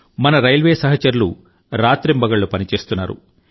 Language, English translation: Telugu, Our railway personnel are at it day and night